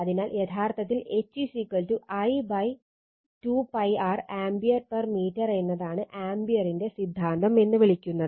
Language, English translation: Malayalam, So, this is actually your what you call H is equal to I upon 2 pi r ampere per meter that is Ampere’s law